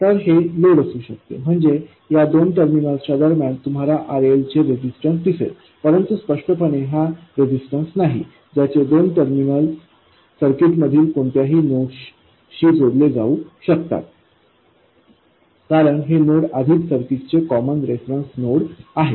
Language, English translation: Marathi, I mean, between these two terminals you will see a resistance of RL, but clearly this is not a resistance whose two terminals can be connected to any two nodes in the circuit because this node is already the common reference node of the circuit